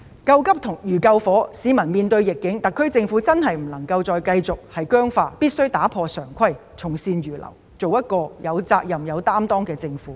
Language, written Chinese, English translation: Cantonese, 救急如救火，市民面對逆境，特區政府不能繼續僵化，必須打破常規，從善如流，做一個有責任、有擔當的政府。, Providing emergency relief is like fighting a fire; now that members of the public are facing adversity the SAR Government cannot still adhere to rigid rules . It must break the conventions follow good advice and be responsible and accountable